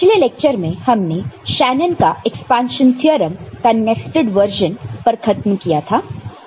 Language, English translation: Hindi, So, in the last class, we ended with the nested version of Shanon’s expansion theorem